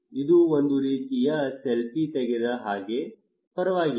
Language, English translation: Kannada, It is like a kind of taking selfie, it is okay